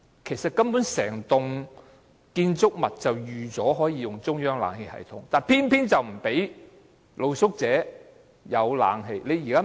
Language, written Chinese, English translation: Cantonese, 其實，整幢建築物本可以提供中央冷氣系統，但政府偏偏不讓露宿者享用。, In fact the entire building could have been centrally air - conditioned but the Government refused to provide air - conditioning for street sleepers